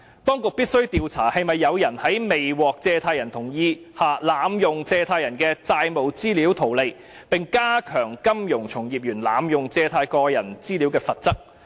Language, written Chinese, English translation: Cantonese, 當局必須調查是否有人在未獲借貸人同意下，濫用借貸人的債務資料圖利，並加重金融從業員濫用借貸人的個人資料的罰則。, The authorities must inquire into whether anyone has misused the loan information of borrowers for profit without their consent and impose heavier penalties on the misuse of personal data of borrowers by financial practitioners